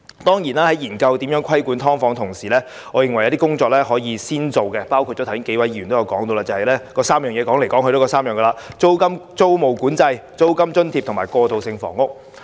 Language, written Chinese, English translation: Cantonese, 當然，在研究如何規管"劏房"的同時，我認為有些工作可以首先進行，包括數位議員剛才不斷提出的3點，即租務管制、租金津貼及過渡性房屋。, Certainly I think in parallel with the study on regulation of subdivided units some work may proceed first including the three measures repeatedly mentioned by a few Members earlier ie . tenancy control rental allowance and transitional housing